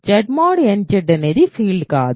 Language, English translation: Telugu, So, Z mod nZ is not a field right